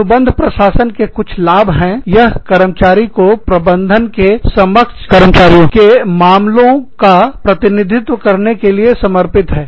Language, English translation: Hindi, Some advantages of contract administration are, it provides the employee, with an advocate dedicated to, representing the employee's case, to the management